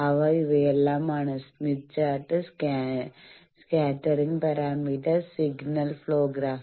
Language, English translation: Malayalam, And they are; Smith Chart, Scattering Parameter and Signal Flow Graph